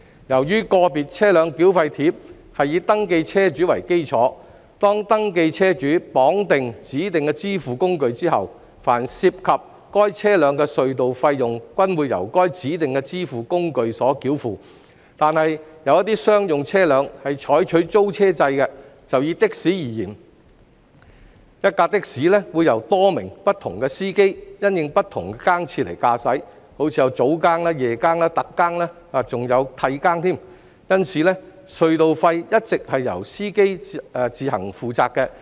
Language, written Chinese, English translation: Cantonese, 由於"個別車輛繳費貼"是以登記車主為基礎，當登記車主綁定了指定支付工具後，凡涉及該車輛的隧道費用均會由該指定支付工具繳付；但有一些商用車輛是採取租車制，就以的士為例，一輛的士會由多名不同司機因應不同更次來駕駛，例如早更、夜更、特更，還有替更，因此隧道費一直是由司機自行負責。, As VTTs are issued on the basis of registered vehicle owners the tunnel tolls incurred by the vehicles concerned will be paid by the designated payment instruments which the registered vehicle owners have linked to their VTTs . But some commercial vehicles like taxis are under some leasing arrangements where there will be multiple drivers driving the same vehicle according to their shifts say morning shift night shift special shift and relief shift . For this reason it is always the drivers responsibility to pay the tunnel tolls